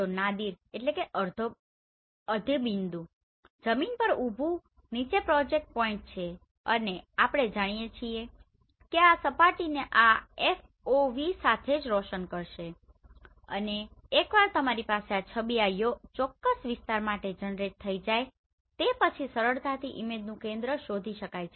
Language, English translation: Gujarati, So Nadir is vertically down projected point on the ground right and as we know that this will illuminate this surface with this FOV right and once you have this image generated for this particular area you can easily find out the center of the image